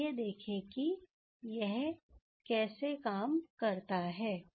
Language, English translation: Hindi, Let us see how it will work